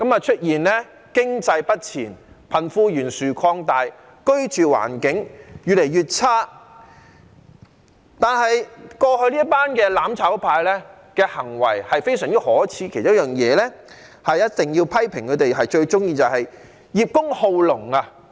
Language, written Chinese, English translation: Cantonese, 出現了經濟不前，貧富懸殊擴大，居住環境越來越差，但是，過去這群"攬炒派"的行為非常可耻，其中一件事我一定要批評他們，就是他們最喜歡葉公好龍。, The economy is stagnant with a widening gap between the rich and the poor the living environment is getting worse but the acts of this gang of people from the mutual destruction camp in the past are very shameful . I must criticize them for one thing and that is they always profess to like or support something but are afraid of it in actual practice